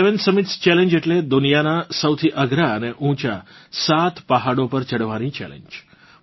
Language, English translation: Gujarati, The seven summit challenge…that is the challenge of surmounting seven most difficult and highest mountain peaks